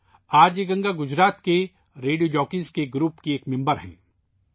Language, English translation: Urdu, RJ Ganga is a member of a group of Radio Jockeys in Gujarat